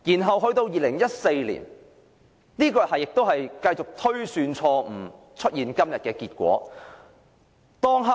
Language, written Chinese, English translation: Cantonese, 後來在2014年，當局繼續推算錯誤，以致出現今天的結果。, Subsequently the authorities continued with its wrong estimation in 2014 resulting in the situation today